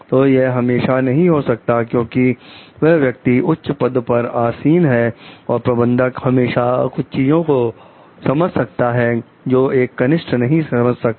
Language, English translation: Hindi, So, it may not be always like because the person is in the higher designation, the manager can always understand something which is junior cannot